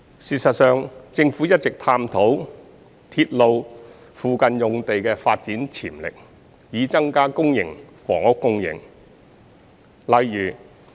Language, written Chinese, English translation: Cantonese, 事實上，政府一直探討鐵路附近用地的發展潛力，以增加公營房屋供應。, In fact the Government has been exploring the development potential of sites adjourning railways to increase public housing supply